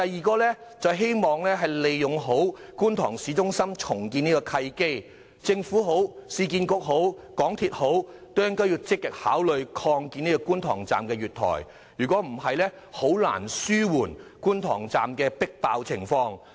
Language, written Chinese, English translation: Cantonese, 其次，我希望藉着觀塘市中心重建這個契機，政府、市區重建局和香港鐵路有限公司積極考慮擴建觀塘站月台，以紓緩觀塘站的迫爆情況。, Furthermore I hope the Government the Urban Renewal Authority URA and the MTR Corporation Limited can take the opportunity of the redevelopment of the town centre of Kwun Tong to ameliorate the congestion of the Kwun Tong Station